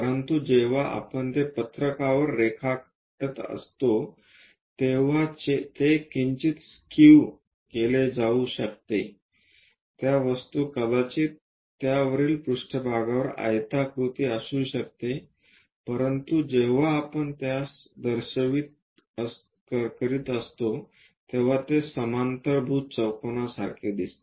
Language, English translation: Marathi, But when we are drawing it on the sheet, it might be slightly skewed, the object might be rectangular on that top surface, but when we are representing it might look like a parallelogram